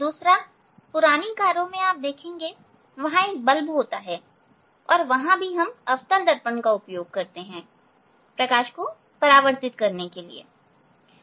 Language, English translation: Hindi, Second, second, in old car you will see this there is a bulb and they are also we use this; we use this concave mirror to reflect the light